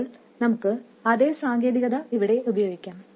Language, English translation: Malayalam, Now we can do exactly the same thing here